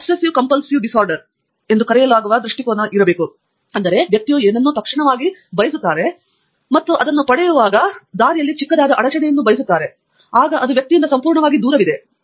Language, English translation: Kannada, There is something called Obsessive Compulsive Disorder, where a person wants something, and they want it immediately, urgently, and then smallest obstacle, then the person is totally away from it